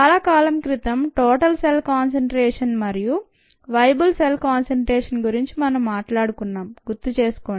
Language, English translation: Telugu, remember we talked about total cell concentration and viable cell concentration